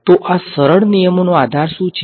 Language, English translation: Gujarati, So, what is the basis of these simple rules